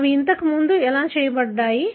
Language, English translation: Telugu, That is how they are done earlier